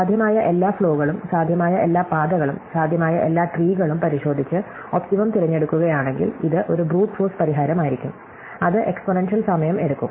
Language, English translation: Malayalam, So, if you look at all possible flows, all possible paths, all possible spanning trees and then choose the optimum, this will be a Brute force solution which would take exponential time